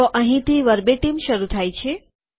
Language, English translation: Gujarati, So this is where the verbatim begins